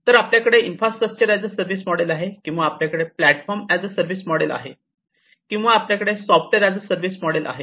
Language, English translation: Marathi, So, we have infrastructure as a service model or we have platform is a service model or we have software as a service